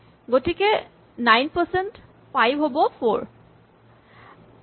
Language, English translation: Assamese, So, 9 percent 5 will be 4